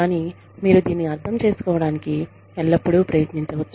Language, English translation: Telugu, But, you can always, try to understand it